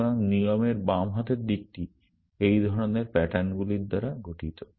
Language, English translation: Bengali, So, the left hand side of the rule is made up of collection of such patterns